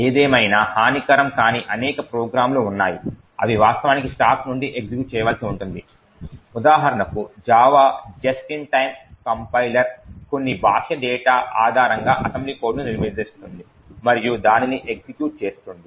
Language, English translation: Telugu, However, there are several non malicious programs which actually would need to execute from the stack for example the JAVA just in time compiler would construct assembly code based on some external data and then execute it